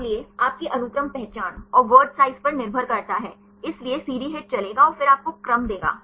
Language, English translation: Hindi, So, depending upon your sequence identity and the word size, so the CD HIT will run and then give you the sequences